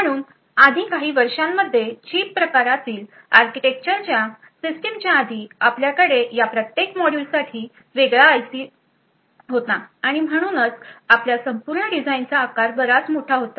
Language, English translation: Marathi, So, in prior years previous prior to the System on Chip type of architecture you would have a different IC present for each of these modules and therefore the size of your entire design would be quite large right